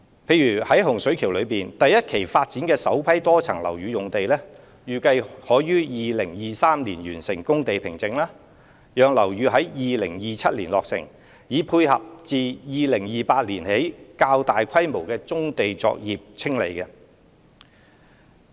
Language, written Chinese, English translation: Cantonese, 例如在洪水橋的第一期發展中，首批多層樓宇用地預計可於2023年完成工地平整，讓樓宇在2027年落成，以配合自2028年起的較大規模棕地作業清理。, For example the first batch of MSB sites to be formed under the First Phase development of HSK NDA is expected to be ready in 2023 for building completion targeted in 2027 in time for the larger scale clearance of brownfield operations from 2028 onward